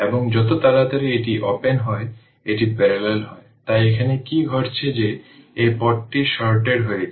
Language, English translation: Bengali, And for as soon as it is open it is in parallel, so what is happening here that your this one as this path is sorted